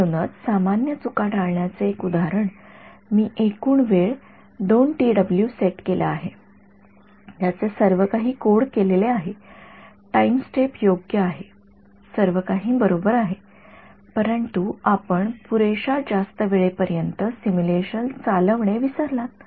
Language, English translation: Marathi, So, common mistake to avoid is an example I set the total time equal to let us say 2 t w right its everything is coded up your time step is correct space step is correct everything is correct, but you forgot to run the simulation for long enough